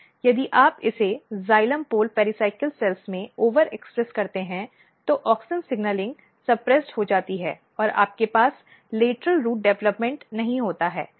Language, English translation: Hindi, So, if you over express this in xylem pole pericycle cells what happens that, auxin signalling is suppressed and you do not have lateral root development